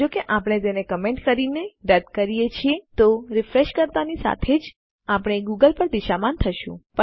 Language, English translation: Gujarati, If I get rid of this by commenting it, and I were to refresh then we would be redirected to google